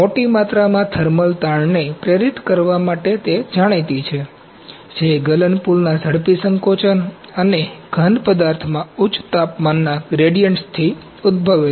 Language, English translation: Gujarati, are known to induce large amounts of thermal stresses, originating from the rapid shrinkage of the melt pool and high temperature gradients in the solid material